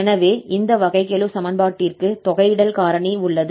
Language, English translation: Tamil, So we will solve this differential equation